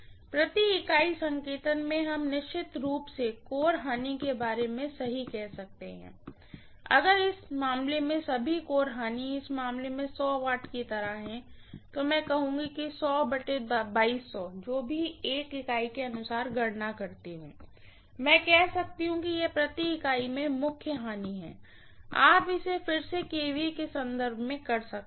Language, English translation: Hindi, In per unit notation we can definitely right about the core losses, if at all core losses in this cases in this case is something like 100 watt, I would say 100 divided by 2200, whatever I calculate as per unit I can say this is the core losses in per unit, that is it, you can again do it in terms of kVA, no problem, yes